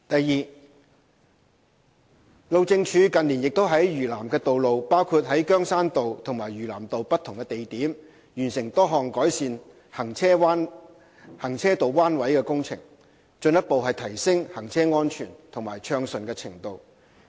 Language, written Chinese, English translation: Cantonese, 二路政署近年亦在嶼南的道路，包括在羗山道及嶼南道的不同地點，完成多項改善行車道彎位的工程，進一步提升行車安全及暢順程度。, 2 In recent years HyD has completed many road bend improvement projects on the roads of South Lantau including different locations on Keung Shan Road and South Lantau Road with a view to further ensuring safe and smooth driving